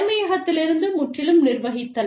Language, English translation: Tamil, Managing, totally from headquarters